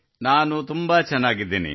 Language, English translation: Kannada, I am very fine